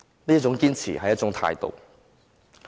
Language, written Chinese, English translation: Cantonese, 這種堅持，是一種態度。, Such persistence is an attitude